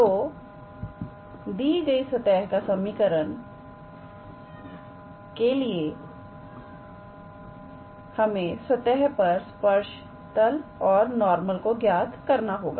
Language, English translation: Hindi, So, the given equation of the surfaces, so we have to calculate the tangent plane and the normal for this surface